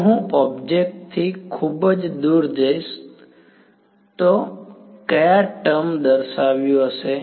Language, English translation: Gujarati, If I go very far away from the object, what term will dominate